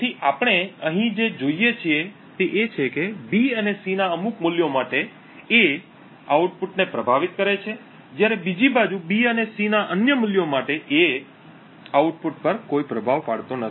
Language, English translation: Gujarati, So, what we see over here is that for certain values of B and C, A influences the output, while on the other hand for certain other values of B and C, A has no influence on the output